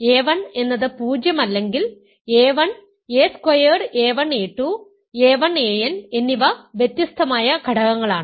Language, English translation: Malayalam, Hence, if a 1 is not 0 then a 1 squared, a 1 a 2, a 1 a n are distinct elements